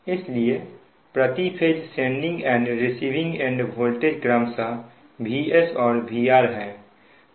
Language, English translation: Hindi, so the per phase sending end and receiving voltages are v, s and v, r respectively